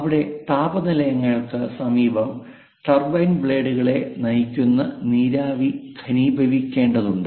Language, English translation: Malayalam, Here near thermal plants, whatever this steam which drives the turbine blades, again has to be condensed